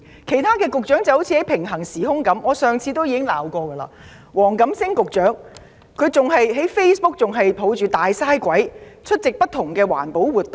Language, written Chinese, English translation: Cantonese, 其他局長彷彿活在平行時空中，正如我上次指摘，黃錦星局長仍舊在 Facebook 抱着"大嘥鬼"，出席不同環保活動。, Other Bureau Directors seem to be living in parallel space and time . As I rebuked him last time Secretary for the Environment WONG Kam - sing was still embracing Big Waste on Facebook . He is still going to various environment protection activities